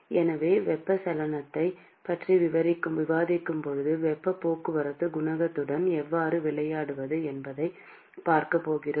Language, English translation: Tamil, So, when we discuss convection, we are going to look at how to play with the heat transport coefficient